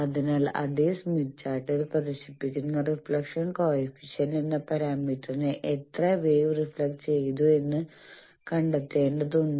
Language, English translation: Malayalam, So, we need to find out how much wave got reflected that parameter is called Reflection Coefficient that also is displayed on the same smith chart